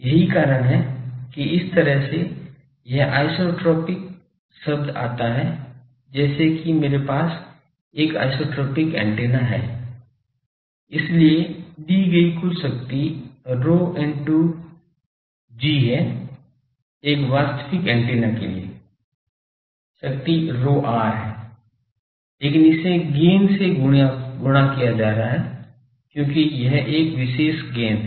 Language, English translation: Hindi, As if that is why this isotropic term comes as if I have an isotropic antenna; so total power given is Pr into G, for a actual antenna the power is given Pr but it is getting multiplied by the gain, because it is a special gain